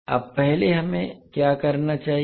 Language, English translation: Hindi, Now first, what we have to do